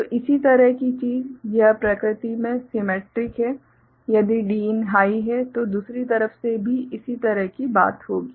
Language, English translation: Hindi, So, similar thing this is symmetric in nature if Din is high, similar thing will happen for the other side, from the other side